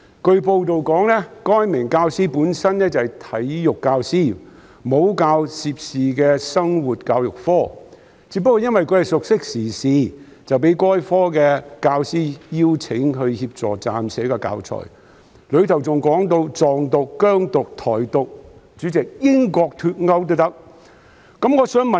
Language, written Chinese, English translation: Cantonese, 據報道，該名教師是體育科教師，沒有教授涉事的生活教育科，只因為熟悉時事，因此被該科的教師邀請協助編寫教材，當中提及"藏獨"、"疆獨"、"台獨"，連英國脫歐也提及。, It has been reported that the teacher concerned teaches Physical Education but not the Life Education subject in question . As he is familiar with current affairs he was invited by the teacher teaching Life Education to assist in preparing teaching materials which covered topics such as Tibet independence Xinjiang independence Taiwan independence and even Brexit